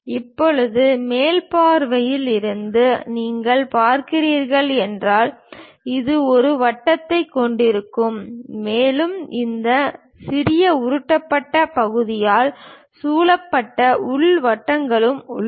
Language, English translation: Tamil, Now, from top view if you are looking at; it will be having a circle and there are inner circles also surrounded by this small bolted kind of portions